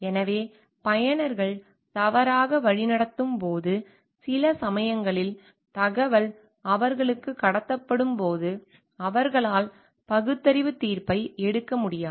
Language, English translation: Tamil, So, when the users get misguided while sometimes information are passed out to them and te they are not able to take a rational judgment